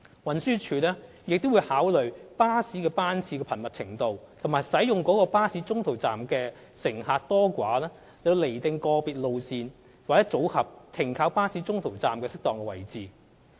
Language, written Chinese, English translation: Cantonese, 運輸署亦會考慮巴士班次的頻密程度和使用該巴士中途站的乘客多寡，釐定個別路線/組合停靠巴士中途站的適當位置。, In determining the suitable location of en - route bus stops for individual route or a combination of routes TD will also take into account the service frequency and the number of passengers using that particular bus stops